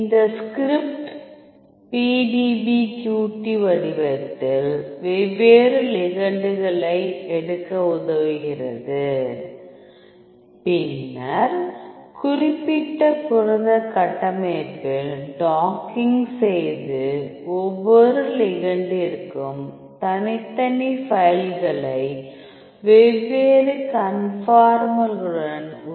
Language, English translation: Tamil, So, this script helps you to take the different ligands in the PDBQT format, then it will dock with the specified protein structure and then it will create a separate folders for each ligand with along with the different conformers